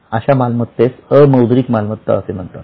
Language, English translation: Marathi, So, such assets are known as non monetary current assets